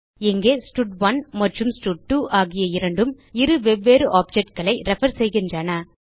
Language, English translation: Tamil, Here both stud1 and stud2 are referring to two different objects